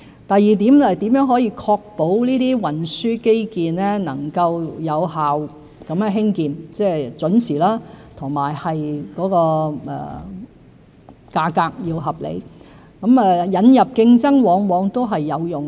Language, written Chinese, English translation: Cantonese, 第二點，如何可以確保這些運輸基建能夠有效地興建，即是準時和價格合理。引入競爭往往是有用的。, On the second question it is often useful to introduce competition to ensure that transport infrastructure projects are completed in a timely manner and at reasonable prices